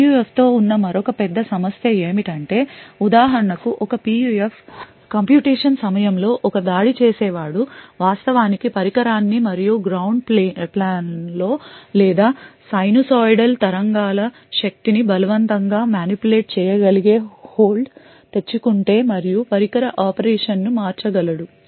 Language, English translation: Telugu, Another big problem with PUF is that of tampering with a computation for example, during a PUF computation is for instance an attacker is able to actually get hold of the device and manipulate the device operation by say forcing sinusoidal waves in the power or the ground plane then the response from the PUF can be altered